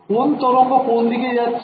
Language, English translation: Bengali, Which wave which direction is this wave traveling